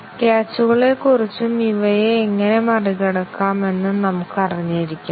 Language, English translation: Malayalam, Let us be aware of the catches and how these are overcome